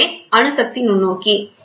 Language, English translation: Tamil, So, this is atomic force microscope